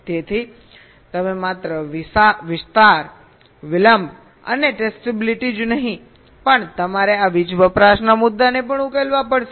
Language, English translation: Gujarati, so not only we have to address area, delay and testability, also you have to address this power consumption issue